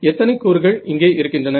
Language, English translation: Tamil, From how many terms are there